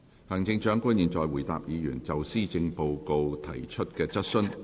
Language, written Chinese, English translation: Cantonese, 行政長官現在回答議員就施政報告提出的質詢。, The Chief Executive will now answer questions put by Members on the Policy Address